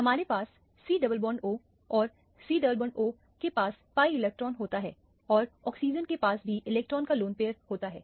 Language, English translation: Hindi, We have a c double bond o and the c double bond o has a pi electrons and the oxygen also has lone pair of electron